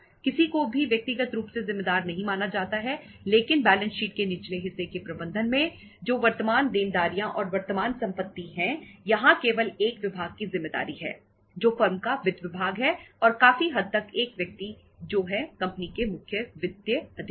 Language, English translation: Hindi, Nobody individually is held responsible but in the management of the lower part of the balance sheet that is the current liabilities and current assets here only is the responsibility of the one department that is finance department of the firm and the one largely the one person that is the chief financial officer of the company